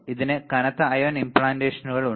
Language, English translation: Malayalam, It has heavy ion implants right